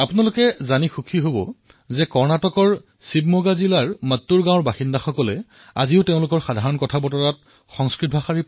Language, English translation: Assamese, You will be pleased to know that even today, residents of village Mattur in Shivamoga district of Karnataka use Sanskrit as their lingua franca